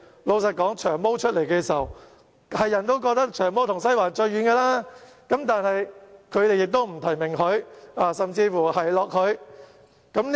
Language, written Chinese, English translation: Cantonese, 老實說，"長毛"宣布參選時，人人都覺得他與"西環"最遠，但是，反對派卻不提名"長毛"，甚至奚落他。, Honestly when Long Hair announced that he would run in the election everyone thought that he was farthest away from Western District . However the opposition camp did not nominate Long Hair and even ridiculed him